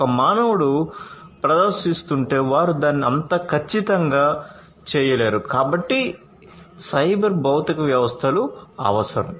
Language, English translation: Telugu, If a human was performing, then they would not be able to do it that much accurately; so cyber physical systems